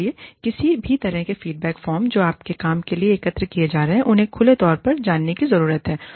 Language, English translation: Hindi, So, any kind of feedback forms, that are being collected for your work, needs to be openly known